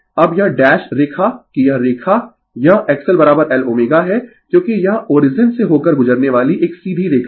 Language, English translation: Hindi, Now, this dash line that yourthis line it is X L is equal to L omega because it is a straight line passing through the origin right